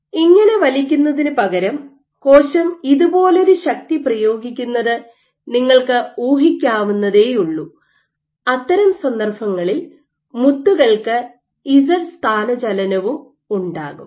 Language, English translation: Malayalam, So, instead of pulling like this, you could very well imagine the cell exerting a force like this in that case there will be Z displacement of the beads as well